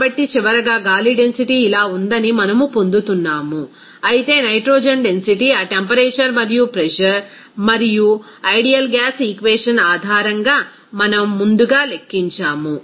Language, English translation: Telugu, So, finally, we are getting that density of air is like this, whereas the density of nitrogen we have calculated earlier based on that temperature and pressure and from the ideal gas equation